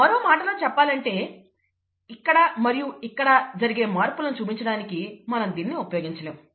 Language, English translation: Telugu, In other words, we cannot use it to represent things changes here, and changes here